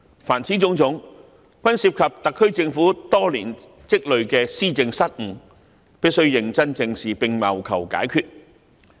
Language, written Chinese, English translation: Cantonese, 凡此種種均涉及特區政府多年積累的施政失誤，必須認真正視並謀求解決。, All of these involve blunders of the SAR Government in administration over many years . These blunders must be squarely addressed and solutions must be sought